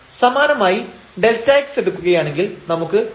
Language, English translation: Malayalam, Similarly, while taking delta x we will get this 0